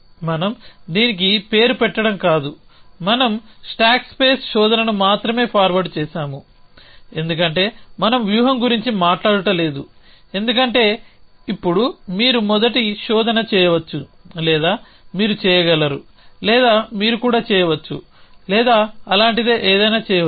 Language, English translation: Telugu, We are not is that given a name to this we have only set forward stack space search, because we have not talked about what does strategy is now you could do that first search or you could do or you could even do did or some something like that